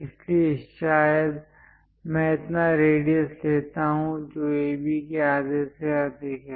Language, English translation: Hindi, So, perhaps I pick this much radius, which is more than half of AB